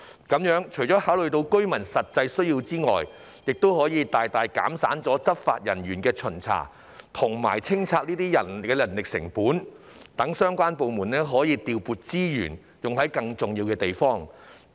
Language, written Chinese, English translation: Cantonese, 這做法除了可顧及居民的實際需要外，還可大大減省執法人員巡查和跟進拆卸工作的人力成本，讓相關部門可以調撥資源，處理更重要的工作。, Apart from meeting the genuine needs of the building occupants this approach can also greatly reduce the manpower costs of inspecting and following up demolition works by law enforcement officers allowing the relevant departments to allocate resources for handling the more important tasks